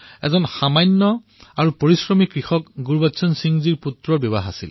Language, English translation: Assamese, The son of this hard working farmer Gurbachan Singh ji was to be married